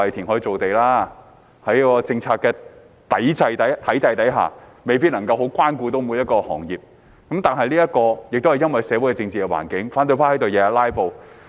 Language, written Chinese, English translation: Cantonese, 有一點吧，都是說要填海造地，在政策體制下，未必能夠關顧到每一個行業，但這是因為社會、政治環境，反對派天天在此"拉布"。, It did provide a lukewarm response saying that it had to create more land by reclamation and that under this political system it might not be possible to take care of every sector . I think this is due to the social and political environment and the persistent filibustering by the opposition camp